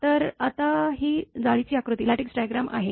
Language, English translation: Marathi, So, this is Lattice Diagram now